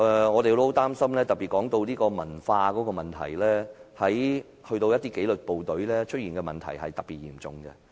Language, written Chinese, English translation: Cantonese, 我們很擔心這種文化問題，而在紀律部隊出現的這種問題尤其嚴重。, I am concerned about the culture . In the meantime this problem is quite serious in the disciplined forces